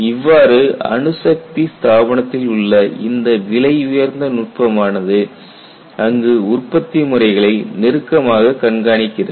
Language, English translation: Tamil, So, this luxury was there in nuclear establishment where there is close monitoring of production methods